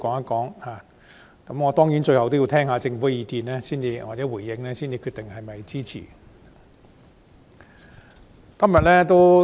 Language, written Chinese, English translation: Cantonese, 當然，我最後要聽聽政府的意見或回應才能決定是否予以支持。, Certainly I will decide whether to lend it my support after listening to the views or responses of the Government in the end